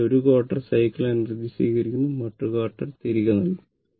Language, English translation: Malayalam, So, 1 1 quarter cycle, it will absorbed another quarter cycle, it will return